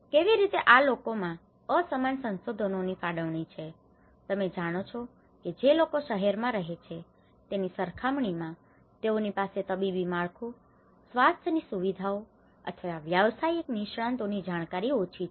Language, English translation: Gujarati, How these people have an unequal resource allocation, you know they might be having a less medical infrastructure compared to you know they have a less infrastructure, medical facilities or the professional expertise compared to the people who are living in urban areas